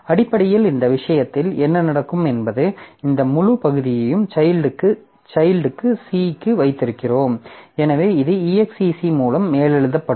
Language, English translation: Tamil, So, basically what will happen in this case is this entire segment that we have for the child C, so it will be overwritten by the exec